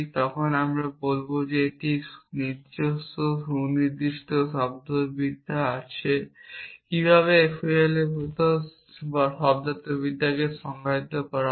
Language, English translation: Bengali, So, when we say a variable we will say that it has its own well define semantics how is the semantics of FOL defined